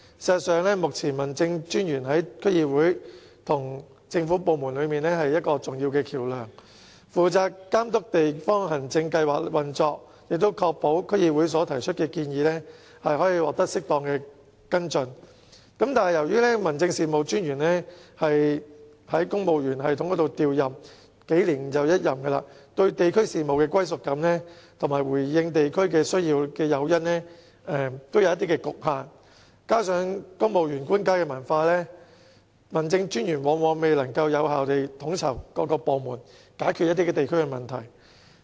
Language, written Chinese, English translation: Cantonese, 事實上，目前民政專員是區議會與政府部門之間的重要橋樑，負責監督地方行政計劃的運作，並確保區議會提出的建議獲得適當跟進，但由於民政專員是循公務員系統調任，幾年一任，對地區事務的歸屬感和回應地區需要的誘因也有限，再加上公務員的官階文化，民政專員因此往往未能有效地統籌各部門，解決地區問題。, In fact at present District Officers are an important bridge between DCs and government departments as they are given charge of monitoring the operation of the District Administration Scheme and ensuring that the advice offered by DCs are followed up appropriately . However since District Officers are posted according to the civil service system and their postings last only several years they have a limited sense of belonging with regard to district affairs and little incentive in responding to the needs of districts . Coupled with the hierachial culture of the Cvil Service District Officers are often incapable of coordinating various departments and solving problems in the districts effectively